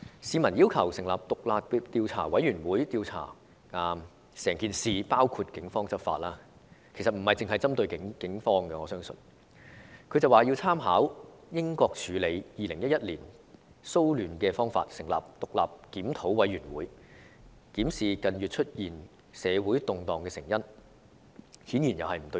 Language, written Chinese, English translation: Cantonese, 市民要求成立獨立調查委員會，徹查整宗事件，包括警方執法——其實我相信這不單是針對警方——但她卻說要參考英國處理2011年騷亂的方式，成立獨立檢討委員會，檢視近月出現社會動盪的成因，顯然又是不對焦。, When the people demanded the forming of an independent commission of inquiry to thoroughly investigate the whole incident including the law enforcement by the Police―in fact I believe this does not just aim at the Police―she said she would refer to the United Kingdoms way of handling the 2011 disturbance and form an independent review committee to look into the cause of the social disturbances in the past several months―this apparently is off focus again